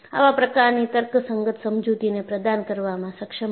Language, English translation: Gujarati, So, he was able to provide a rational explanation to this